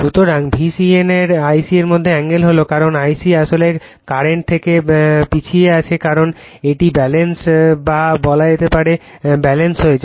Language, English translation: Bengali, So, angle between V c n and I c is theta , because I c actually current is lagging from this one because it is balance say you have taken balance